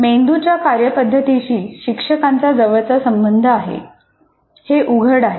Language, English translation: Marathi, So obviously, teacher has very, very close relationship with the functioning of the brain